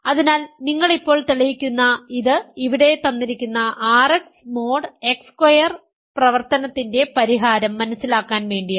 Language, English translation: Malayalam, So, one you prove right now in order to understand the solution for the exercise here R X mod X squared and use it in the third and fourth exercises